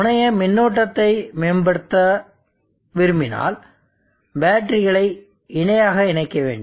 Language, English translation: Tamil, If we want to enhance the terminal current, then we can connect batteries in parallel